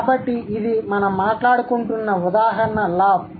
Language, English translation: Telugu, So, this is the example that we are talking about, that is laugh